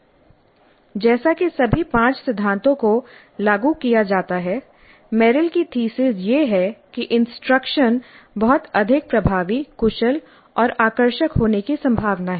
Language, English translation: Hindi, As all the five principles get implemented, Meryl's thesis is that the instruction is likely to be very highly effective, efficient and engaging